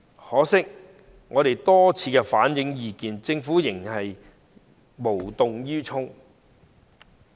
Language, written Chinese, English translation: Cantonese, 可惜，我們多次反映意見，政府仍無動於衷。, Regrettably after we have repeatedly relayed our views the Government remains unmoved